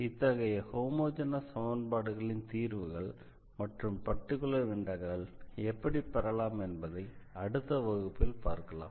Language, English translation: Tamil, So, we will be talking about more here how to get the solution of this homogeneous equation in the next lecture and also about the particular integral